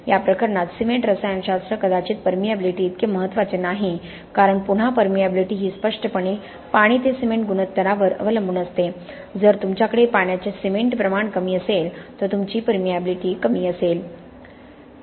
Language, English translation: Marathi, The cement chemistry is probably not as important in this case as is the permeability because again permeability obviously depends on the water to cement ratio, if you have lesser water cement ratio you have lower permeability